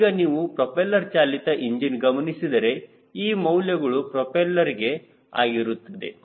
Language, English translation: Kannada, now when you come to propeller driven engine, then the values are for propeller